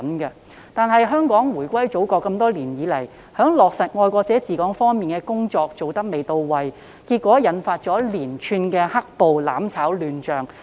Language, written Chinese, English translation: Cantonese, 可惜，香港回歸祖國多年以來，在落實"愛國者治港"方面的工作做得未到位，結果引發連串"黑暴"、"攬炒"亂象。, Unfortunately over the years since the return of Hong Kongs sovereignty to China the principle of patriots administering Hong Kong has not been effectively implemented resulting in a series of black - clad riots and frantic attempts to achieve mutual destruction